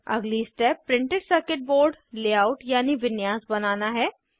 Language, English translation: Hindi, The next step is to create the printed circuit board layout